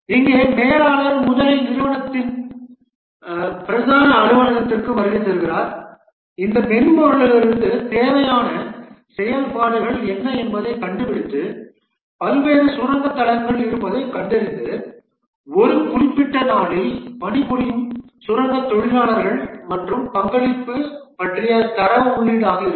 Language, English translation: Tamil, And here the manager first visits the main office of the company, finds out what are the functionality is required from this software, finds that there are various mine sites where the data will be input about the miners who are working for a specific day and the contribution they make for that day towards the special provident fund scheme